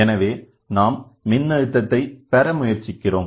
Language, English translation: Tamil, So, we always look for voltage